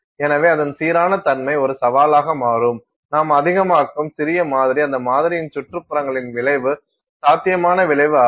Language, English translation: Tamil, And therefore, its uniformity becomes a challenge, the smaller the sample that you make the greater is the influence potential influence of the surroundings on that sample